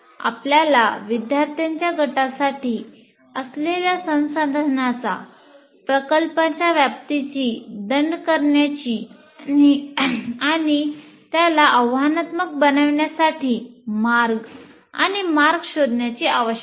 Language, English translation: Marathi, You have to fine tune the resources, the scope of the project for a group of students and how to make it challenging